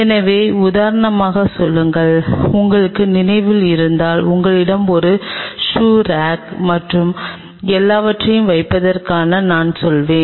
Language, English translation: Tamil, So, say for example, if you remember I told you that you have a shoe rack and all that stuff